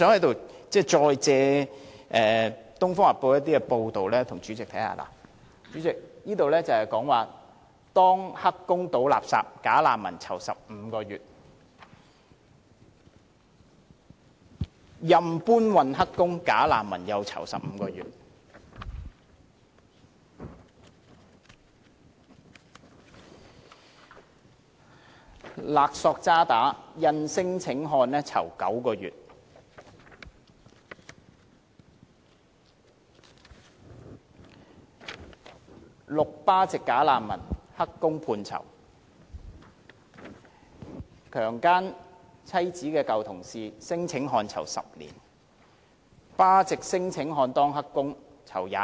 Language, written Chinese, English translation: Cantonese, 代理主席，這裏有多篇報道，標題分別是"當'黑工'倒垃圾'假難民'囚15個月"、"任搬運'黑工''假難民'囚15個月"、"勒索渣打印聲請漢囚9個月"、"6 巴籍'假難民''黑工'判囚"、"姦妻舊同事聲請漢囚10年"、"巴漢聲請者當'黑工'判囚逾22月"。, Deputy President there are a number of news reports here with these headlines Bogus refugee working illegally as garbage collector imprisoned for 15 months; Bogus refugee working illegally as porter imprisoned for 15 months; Indian claimant imprisoned for nine months for blackmailing Standard Chartered; Six Pakistani bogus refugees sent to jail for illegal employment; Claimant imprisoned for 10 years for raping wifes former colleague; Illegal Pakistani male worker and claimant sentenced to imprisonment for over 22 moths